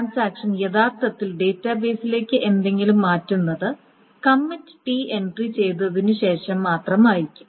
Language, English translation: Malayalam, And when does the transaction actually starts changing anything to the database only after the commit entry has been made